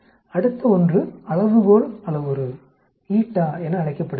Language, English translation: Tamil, The next one is called the scale parameter, eta